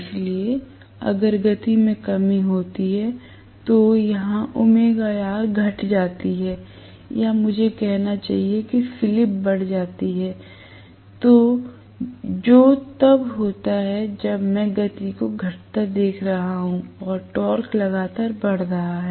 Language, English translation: Hindi, So, if there is a reduction in the speed, so here omega R decreases or I should say slip increases that is what happens, when I am looking at you know the speed coming down and the torque increasing correspondingly